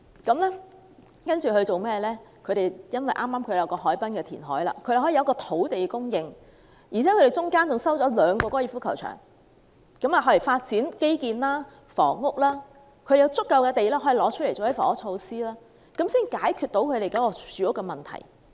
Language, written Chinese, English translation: Cantonese, 後來，當地的填海項目剛好完成，有土地供應，而且期間他們收回兩個高爾夫球場，用作發展基建和房屋，有足夠土地用作推行房屋措施，才解決了新加坡的住屋問題。, Subsequently the reclamation project just completed provided land and two golf courses were recovered during that period for infrastructure and housing development . With sufficient land for the implementation of housing initiatives the housing issue in Singapore was solved